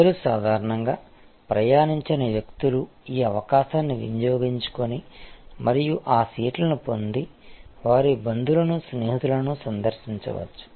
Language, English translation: Telugu, So, people normally would not have those people who normally would not have travel will take this opportunity and occupied those seats may visit a relatives visit friends and so on